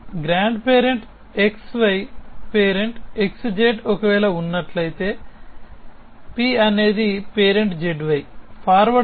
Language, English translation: Telugu, So, grandfather x y if father x z and p stands for parent z y